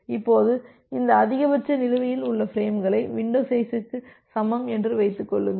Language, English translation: Tamil, Now, this maximum number of outstanding frames; assume that it is equal to the window size